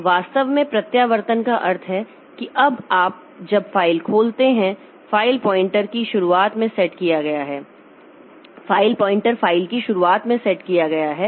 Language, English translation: Hindi, So, reposition actually means that if this is a file, if this is a file, if this is a file now when you open the file, the file pointer is set at the beginning of the file